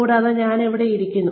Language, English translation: Malayalam, And, I am sitting here